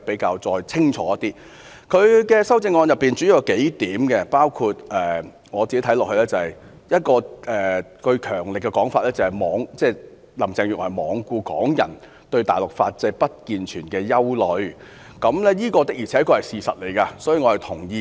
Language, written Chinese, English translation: Cantonese, 我看到她的修正案主要有數點，包括一個強而有力的說法，就是林鄭月娥罔顧港人對大陸法制不健全的憂慮，這確是事實，所以我是認同的。, I see that her amendment mainly comprises several points including a forceful remark that Carrie LAM has paid no heed to Hongkongers concern about the defective legal system of the Mainland . This is indeed the fact . So I agree with it